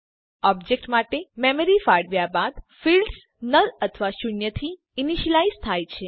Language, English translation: Gujarati, After the memory is allocated for the object the fields are initialized to null or zero